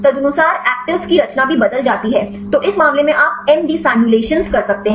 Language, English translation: Hindi, Accordingly the conformation of actives it also change; so in this case you can do MD simulations